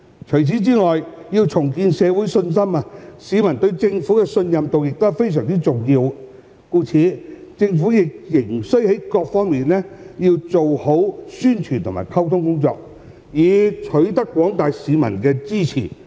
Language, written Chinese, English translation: Cantonese, 除此以外，要重建社會信心，市民對政府的信任度亦非常重要，故此政府仍須在各方面做好宣傳和溝通工作，以取得廣大市民的支持。, Apart from this peoples degree of trust in the Government is also very important in rebuilding public confidence . Therefore efforts should also be made by the Government to properly carry out publicity and communication work in different aspects to obtain support from the general public